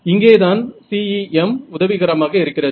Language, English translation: Tamil, So, this is where CEM comes to our rescue